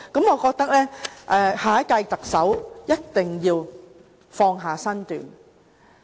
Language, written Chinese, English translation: Cantonese, 我覺得下任特首一定要放下身段。, I think the next Chief Executive must really humble himself or herself